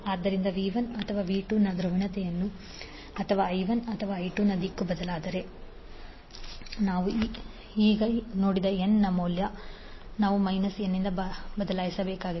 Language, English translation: Kannada, So if the polarity of V 1 and V 2 or the direction of I 1 and I 2 is changed, the value of N which we have just saw, we need to be replaced by minus n